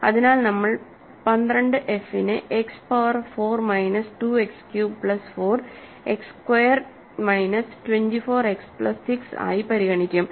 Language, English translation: Malayalam, So, we will consider 12 f to be X power 4 minus 2 X cube plus 4 X squared minus 24 X plus 6, right